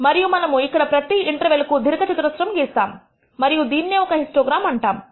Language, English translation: Telugu, And that is what we plotted as a rectangle for each interval and this is known as a histogram